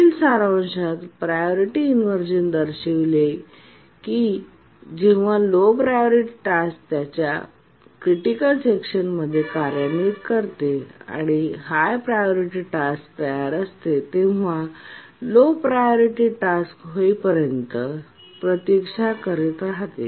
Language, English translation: Marathi, The term priority inversion implies that when a low priority task is executing its critical section and a high priority task that is ready keeps on waiting until the low priority task can be preempted